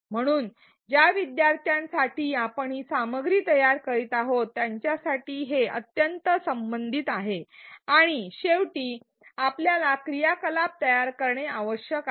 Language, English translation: Marathi, So, that it is extremely relevant for the learners for whom we are designing this content and finally, we need to design the activity